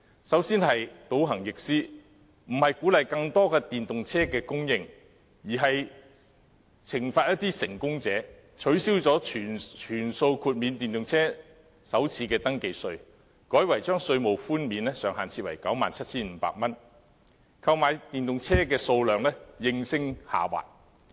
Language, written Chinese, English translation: Cantonese, 首先是倒行逆施，並非鼓勵更多電動車供應，而是懲罰一些成功者，取消全數豁免電動車的首次登記稅，改為將稅務寬免的上限設為 97,500 元，購買電動車的數量應聲下滑。, Firstly the policy is regressive . The Administration does not encourage the supply of more EVs but punishes those who succeed in switching to EVs as it has abolished the full waiver of first registration tax for electric private cars and instead capped their first registration tax concession at 97,500 . As a result there is a sudden drop in the number of EVs purchased